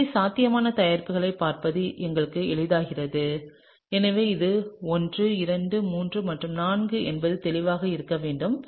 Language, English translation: Tamil, So, that it becomes easier for us to look through the possible products and so, just to be clear this is 1 2 3 and 4